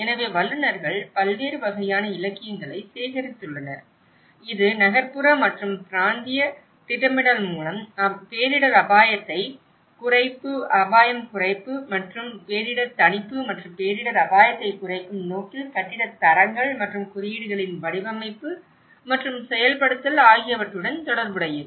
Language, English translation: Tamil, So, the experts have collected a variety of literature, which is pertinent to disaster risk reduction and disaster mitigation through urban and regional planning and the design and implementation of building standards and codes that aim to reduce disaster risk